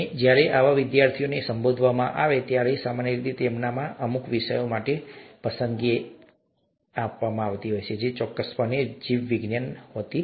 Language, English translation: Gujarati, And, when, such students are addressed, there is usually a preference in them for certain subjects, which is certainly not biology